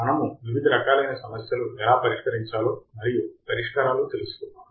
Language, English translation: Telugu, And we have tried to solve several problems and we have found the solutions